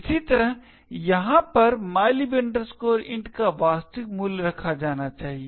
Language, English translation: Hindi, Similarly, over here the actual value of mylib int should be placed